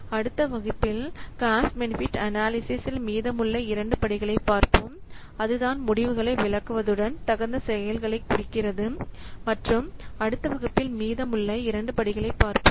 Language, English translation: Tamil, So, in the next class we will see the remaining two steps of cost benefit analysis that is what interpreting the results as well as taking the appropriate action